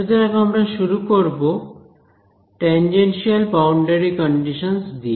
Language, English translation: Bengali, So, we will start with what are called as tangential boundary conditions ok